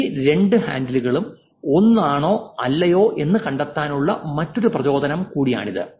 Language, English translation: Malayalam, That is also another motivation to actually find out whether these two handles are same or not